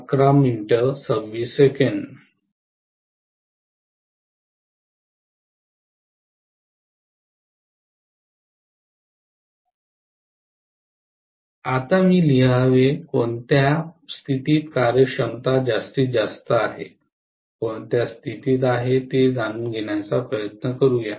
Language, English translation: Marathi, Now let me write, under what condition efficiency is maximum, let me try to derive this under what condition, right